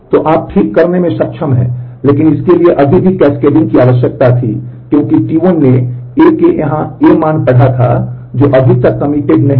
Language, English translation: Hindi, So, you are able to recover, but it still required the cascading because T 1 had read A value in here of A which was not yet committed